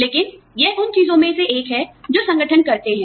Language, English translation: Hindi, But, this is one of the things, that organizations do